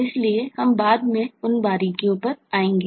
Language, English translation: Hindi, so we will come to those specifies later on